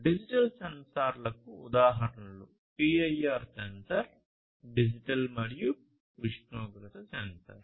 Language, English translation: Telugu, So, examples of digital sensors would be PIR sensor, digital temperature sensor and so on